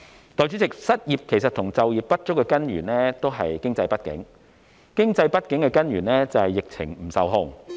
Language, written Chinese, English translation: Cantonese, 代理主席，失業和就業不足的根源是經濟不景，經濟不景的根源是疫情不受控。, Deputy President the root cause of unemployment and underemployment is the economic downturn and the root cause of the economic downturn is a pandemic that is out of control